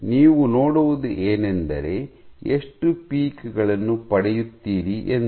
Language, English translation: Kannada, So, what you see is that how many peaks do you get